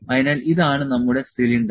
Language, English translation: Malayalam, So, this is our cylinder this is cylinder